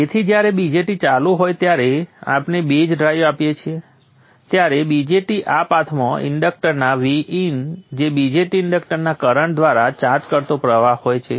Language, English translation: Gujarati, So when the BJAT is on we give the base drive, BJT is on, the current flows through VN, BJAT, inductor, charging of the induuctor in this path